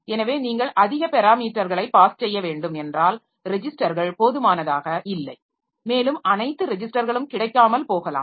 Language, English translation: Tamil, So, if you need to pass more number of parameters then registers are not sufficient and all the registers may not be available also